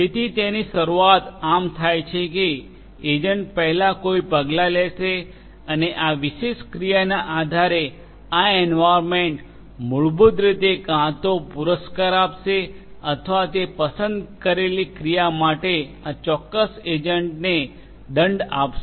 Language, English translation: Gujarati, So, it starts like this that the agent will first take an action, and based on this particular action this environment basically is either going to reward or is going to penalize this particular agent for that chosen action